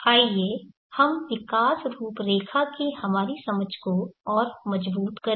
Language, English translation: Hindi, Let us further consolidate our understanding of the growth profiles